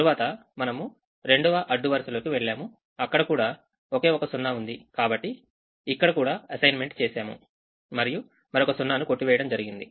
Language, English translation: Telugu, and then we went to the second row, which has only one zero, so an assignment is made and this is crossed